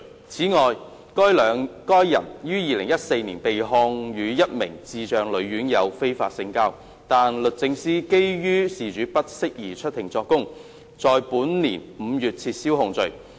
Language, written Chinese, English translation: Cantonese, 此外，該人於2014年被控與一名智障女院友非法性交，但律政司基於事主不適宜出庭作供，在本年5月撤銷檢控。, In addition that person was prosecuted in 2014 for having unlawful sexual intercourse with a female RCHD resident with intellectual disability . However the Department of Justice DoJ withdrew the prosecution in May this year on the ground that the female resident was unfit to give evidence in court proceedings